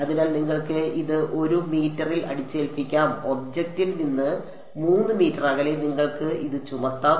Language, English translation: Malayalam, So, you can impose it at 1 meter, you can impose it at 3 meters from the object